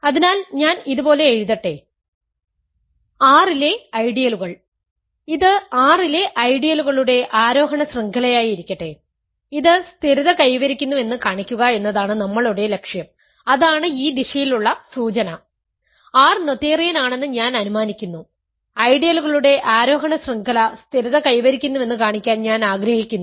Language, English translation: Malayalam, So, let me write like this, ideals in R, let this be an ascending chain of ideals in R and our goal is to show that it stabilizes right that is the implication in this direction, I am assuming R is noetherian and I want to show that this ascending chain of ideals stabilizes